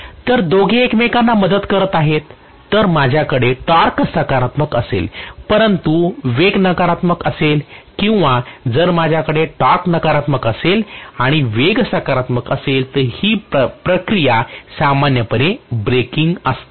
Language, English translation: Marathi, So both were aiding each other whereas if I have torque to be positive but speed to be negative or if I have torque to be negative and the speed to be positive that process is generally braking